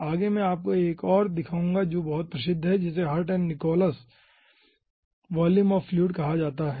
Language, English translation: Hindi, okay, next i will be showing you another 1 which is very famous, which is called ah, hirt and nichols volume of fluid